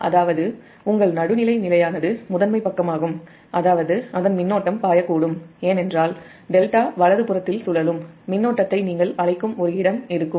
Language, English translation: Tamil, that means that means your neutral is grounded, is primary side, means its current can flow because there will be a your, what you call that circulating current inside the delta